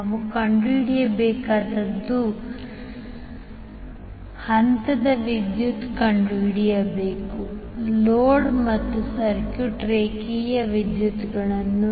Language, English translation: Kannada, What we have to find out, we have to find out the phase current of the load and the line currents of the circuit